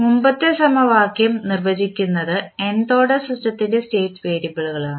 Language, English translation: Malayalam, Which define the previous equation are the state variables of the nth order system